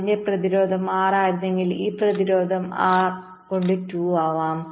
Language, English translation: Malayalam, if the resistance of this was r, this resistance will become r by two right